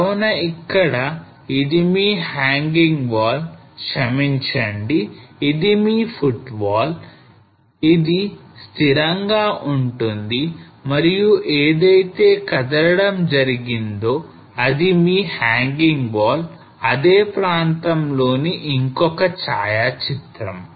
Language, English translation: Telugu, So here this is your hanging wall sorry this is your footwall this is stationary and this is your hanging wall which moved another photograph of same area